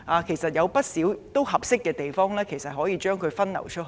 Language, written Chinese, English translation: Cantonese, 其實，香港有不少適合的地方，可以把旅客分流到這些地方。, In fact there are many suitable places in Hong Kong to divert visitors